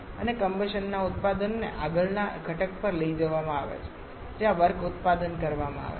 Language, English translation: Gujarati, And the products of combustion are taken to the next component where the word production is done